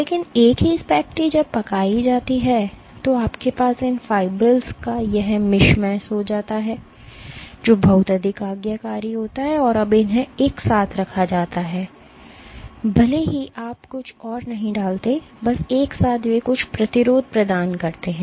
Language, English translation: Hindi, But the same spaghetti when cooked then what you have is this mishmash of these fibrils which are much more compliant, and when they are held together even if you do not put anything else, just together they provide some resistance